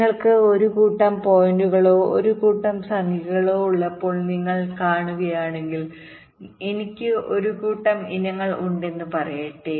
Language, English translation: Malayalam, if you see, when you have a set of points or set of numbers, lets say i have a set of items, so when i say i am taking a median